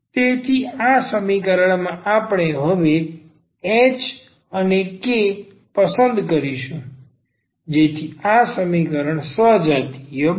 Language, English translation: Gujarati, So, these equation we will choose now this h and k so that this equation becomes homogeneous